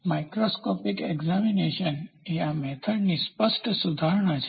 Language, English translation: Gujarati, Microscopic examination is the obvious improvisation of this method